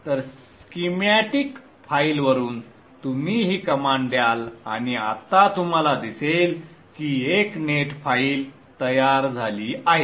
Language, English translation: Marathi, So from the schematic file you give this command and now you would see that there is a net file generated